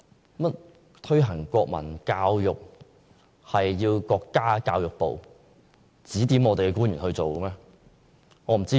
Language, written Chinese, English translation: Cantonese, 為何推行國民教育要由國家教育部指點香港官員推行？, Why should the Minister of Education instruct or direct government officials in Hong Kong to implement national education?